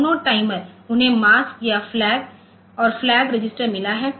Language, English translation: Hindi, So, both the timer they have got mask and flag register